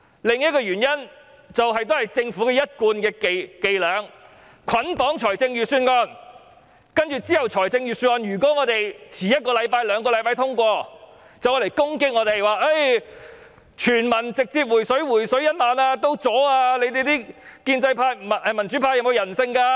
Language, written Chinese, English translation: Cantonese, 另一個原因就是，政府的一貫伎倆是捆綁預算案，接着如果我們延遲一兩個星期通過預算案，便攻擊我們，說泛民議員連全民"回水 "1 萬元也阻攔，有沒有人性？, Another reason for the usual tactic of bundling the funding with the Budget is that if Members delay in passing the Budget by one or two weeks the Government will attack us saying that the pan - democratic Members are inconsiderate as they even obstruct the rebate of 10,000 to all people